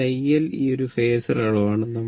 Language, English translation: Malayalam, It is not a phasor quantity